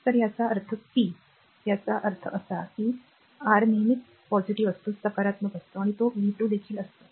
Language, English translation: Marathi, So, this is that means, p; that means, R is always positive, and it is v square